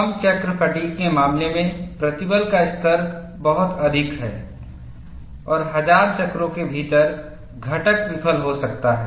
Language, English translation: Hindi, In the case of low cycle fatigue, the stress levels are very high, and within 1000 cycles the component may fail